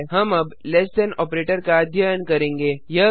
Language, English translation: Hindi, We now have the less than operator